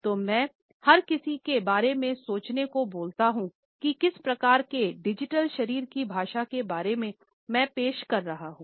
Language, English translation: Hindi, So, I had encouraged everyone to think about, what type of digital body language am I projecting